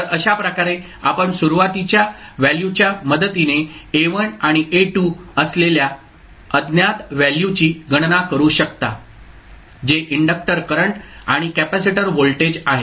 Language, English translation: Marathi, So in this way you can calculate the value of unknowns that is A1 and A2 with the help of initial values that is inductor current and capacitor voltage